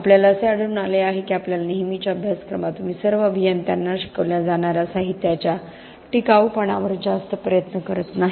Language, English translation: Marathi, We find that in our usual curriculum you do not spend a lot of effort on materials durability that should be taught to all engineers